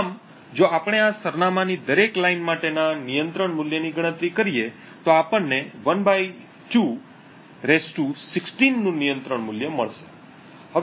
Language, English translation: Gujarati, Thus, if we compute the control value for each of these address lines we would get a control value of (1/2) ^ 16